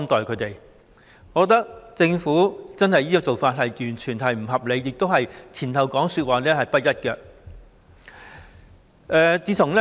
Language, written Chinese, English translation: Cantonese, 我認為，政府這種做法毫不合理，說法也是前後不一致的。, I believe that such a course of action taken by the Government is totally unreasonable and what it said before - hand and afterwards were also inconsistent